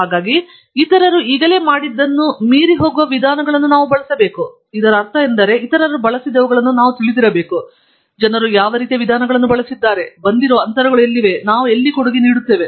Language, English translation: Kannada, So, we must use approaches that are going beyond what others have done till now; which means that we must know what others have used; what kind of approaches people have used; where are the gaps that have come up; and, where is it that we can contribute